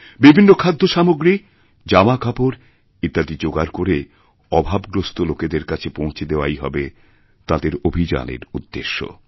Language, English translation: Bengali, Under this campaign, food items and clothes will be collected and supplied to the needy persons